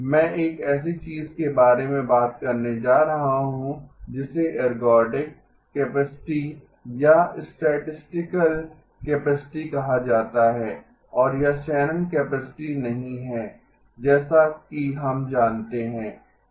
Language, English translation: Hindi, I am going to have to talk about something called an ergodic capacity or a statistical capacity and it is not the Shannon capacity exactly as we know it